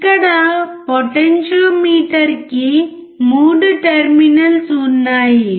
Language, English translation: Telugu, There are 3 terminals in the potentiometer here, 3 terminals are there